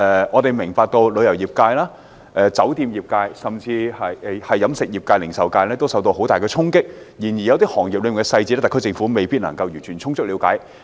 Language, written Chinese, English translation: Cantonese, 我明白旅遊業、酒店業、飲食業及零售業均受到很大衝擊，但有些行業所面對的具體影響，特區政府未必能夠充分了解。, I understand that the tourism hotel catering and retail industries have all been seriously hit but the SAR Government may not have a thorough understanding of the impact on other industries